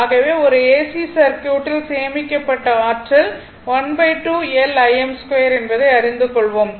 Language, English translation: Tamil, So, whatever we know that in an AC circuit, we know that energy stored is half L I m square